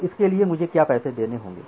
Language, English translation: Hindi, So, for that what is the money that I have to pay